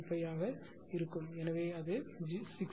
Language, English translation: Tamil, 0235 it is 60